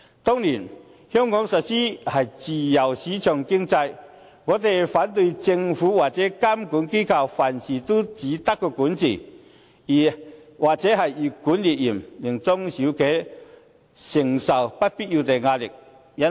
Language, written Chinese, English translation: Cantonese, 當然，香港實施的是自由市場經濟，我們反對政府或監管機構凡事都只懂監管或越管越嚴，令中小企承受不必要的壓力。, It is a matter of course that Hong Kong is running a free market economy and we are against the approach of the Government or the supervisory institutions which only resort to regulation or more and more stringent supervision thus imposing unnecessary pressure on SMEs